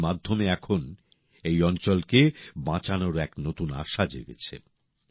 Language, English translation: Bengali, Through this now a new confidence has arisen in saving this area